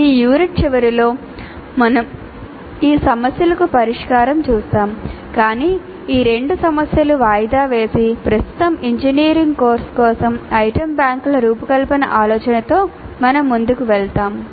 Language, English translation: Telugu, We will come back to this issue towards the end of this unit but for the present assuming that these two issues are deferred we will proceed with the idea of designing the item banks for an engineering course